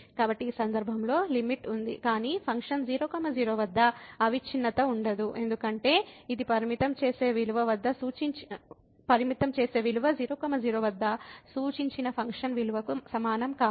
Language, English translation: Telugu, So, the limit exist in this case, but the function is not continuous at , because this limiting value is not equal to the function value which is prescribed at